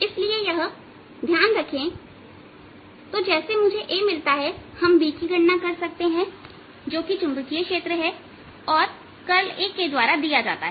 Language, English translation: Hindi, so once we get a, we can calculate b, that is a magnetic field which is given by curl of this a